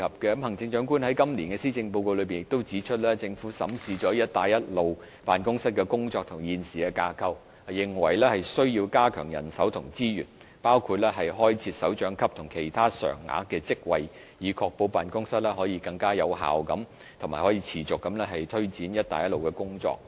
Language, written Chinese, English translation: Cantonese, 行政長官在今年的施政報告內亦指出，政府審視了辦公室的工作及現時的架構，認為需要加強人手及資源，包括開設首長級及其他常額的職位，以確保辦公室可以更有效及持續地推展"一帶一路"的工作。, The Chief Executive also stated in the Policy Address this year that the Government had reviewed the work and current structure of BRO and considered it necessary to beef up BROs establishment and resources including the creation of directorate posts and other permanent posts to ensure that it can take forward the work under the Belt and Road Initiative more effectively and on a long - term basis